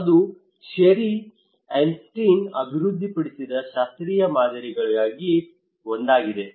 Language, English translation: Kannada, This is one of the classical model developed by Sherry Arnstein